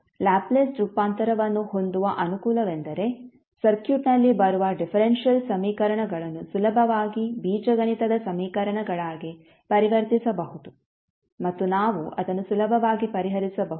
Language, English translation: Kannada, So the advantage of having the Laplace transform is that the differential equations which are coming in the circuit can be easily converted into the algebraic equations and we can solve it easily